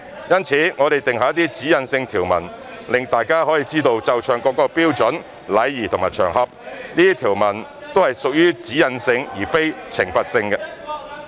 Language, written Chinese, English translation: Cantonese, 因此，我們定下一些指引性條文，讓大家知道奏唱國歌的標準、禮儀和場合，這些條文都是屬於"指引性"而非懲罰性。, Therefore we have drawn up some directional provisions to let everyone know the standard etiquette and occasions for the playing and singing of the national anthem . These provisions are directional rather than punitive